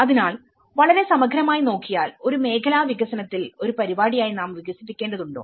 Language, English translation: Malayalam, So, from a very holistically understanding do we need to develop as a program in a sectoral development